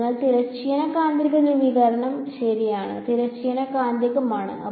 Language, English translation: Malayalam, So, there is transverse magnetic polarization ok, transverse magnetic